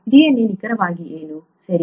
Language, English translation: Kannada, What exactly is DNA, okay